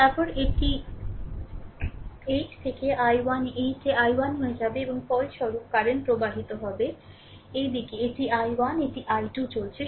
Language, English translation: Bengali, Then it will be 8 into i 1 8 into i 1 and resultant current flowing in this direction it is i 1 this is going i 2